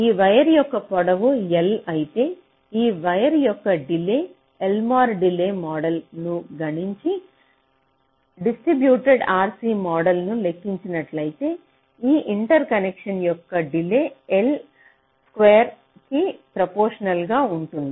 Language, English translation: Telugu, so if this length of the wire is l, so the delay of this wire, if you just compute the l mod delay model and compute the distributed r c model, so the delay of this interconnection will be roughly proportional to the square of l